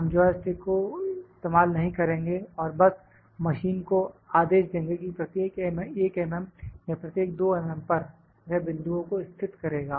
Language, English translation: Hindi, We would not use the joystick and just using just will command the machine that at each 1 mm or it at each 2 mm, it will locate the points